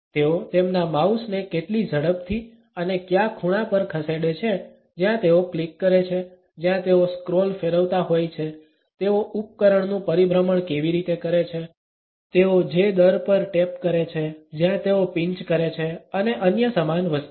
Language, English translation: Gujarati, Ranging from how fast and at which angles they move their mouse, where they click, where they hover around in a scroll, how do they device rotations, the rate at which they tap, where they pinch and similar other things